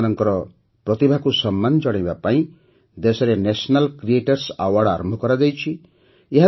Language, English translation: Odia, To honour their talent, the National Creators Award has been started in the country